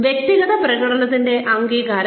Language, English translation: Malayalam, Recognition of individual performance